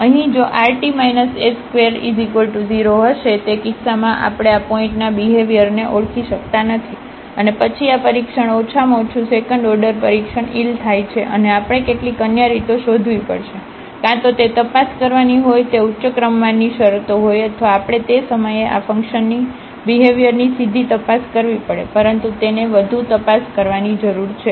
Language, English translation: Gujarati, And here rt minus s square will be 0 in that case we cannot identify the behavior of this point and then this test at least the second order test fails and we have to find some other ways; either they the higher order terms we have to investigate or we have to directly investigate the behavior of this function at that point, but it is certainly needs further investigation